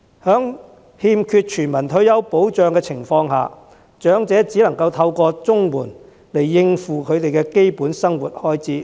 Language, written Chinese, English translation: Cantonese, 在欠缺全民退休保障的情況下，長者只能夠透過綜援來應付基本生活開支。, In the absence of universal retirement protection elderly persons can meet the expenses on their basic needs only by CSSA payments